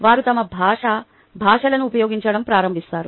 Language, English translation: Telugu, they start using their language, languages